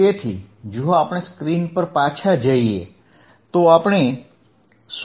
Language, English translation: Gujarati, So, if we go back to the screen, if we go back to the screen what we see